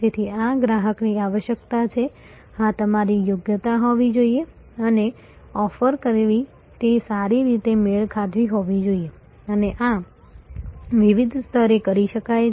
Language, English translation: Gujarati, So, this is customer requirement this must be your competency and offering they must be well matched and this can be done at different levels